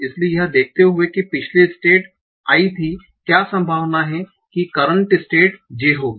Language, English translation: Hindi, So given that the previous state was I, what is the probability that the current state will be J